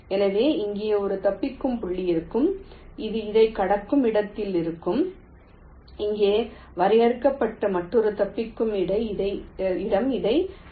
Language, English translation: Tamil, so there will be one escape point defined here, where it is just crossing this, another escape point defined here, just crossing this